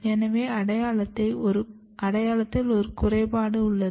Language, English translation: Tamil, So, there is a defect in the identity